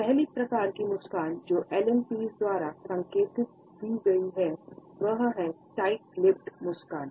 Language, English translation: Hindi, The first type of a smile which has been hinted at by Allen Pease is the tight lipped smile